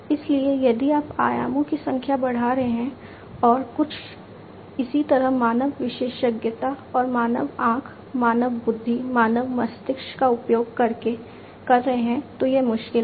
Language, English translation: Hindi, So, if you are increasing the number of dimensions and doing something very similar using the human expertise and human eye, human intelligence, human brain, that is difficult